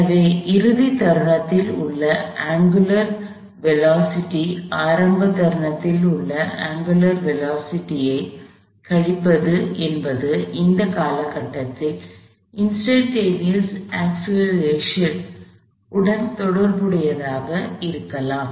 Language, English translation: Tamil, The angular velocity at the final instant minus the angular velocity at the initial instant can also be related to the instantaneous or the angular acceleration over that same period of time